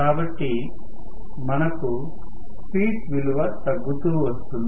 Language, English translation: Telugu, So, I am going to have less and less speed